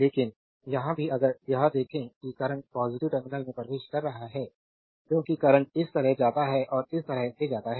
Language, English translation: Hindi, But here also if you look into that current is entering through the positive terminal because current goes like this goes like this and goes like this right